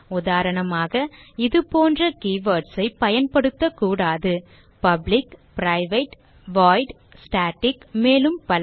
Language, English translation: Tamil, For example: cannot use keywords like public, private, void, static and many more